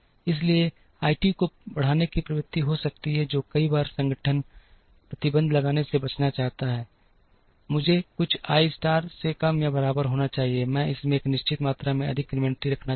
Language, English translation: Hindi, So, there can be a tendency to increase I t, which times organizations would like to avoid by putting a restriction, that I t should be less than or equal to some I star, I do not want to hold more than a certain amount of inventory in this